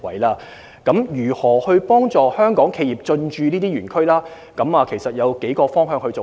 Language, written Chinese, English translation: Cantonese, 至於如何幫助香港企業進駐這些園區，我們會循數個方面進行。, As for how to assist Hong Kong enterprises to set up businesses in ETCZs we will progress our work on several fronts